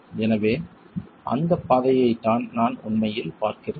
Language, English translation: Tamil, So, that, that trajectory is what I'm really looking at